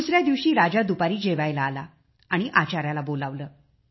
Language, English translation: Marathi, Then next day the king came for lunch and called for the cook